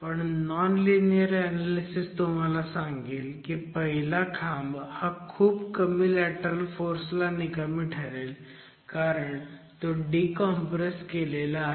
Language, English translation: Marathi, However, the non linear analysis will tell you that peer one is actually going to fail at a significantly lower level of lateral force because it is decompressed